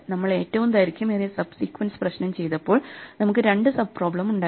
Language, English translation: Malayalam, So, when we did the longest common sub sequence problem, we had two sub problems